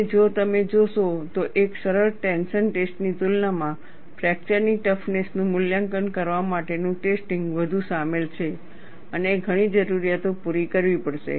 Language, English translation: Gujarati, And if you look at, in comparison to a simple tension test, the test to evaluate fracture toughness is more involved and several requirements have to be met